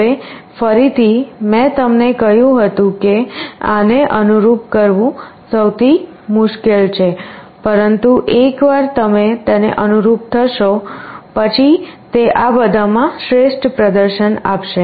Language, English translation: Gujarati, Now again, I told you that this is most difficult to tune, but once you have tuned it, this will give the best performance among all